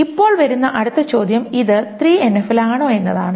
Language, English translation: Malayalam, The question then comes, is it in 3NF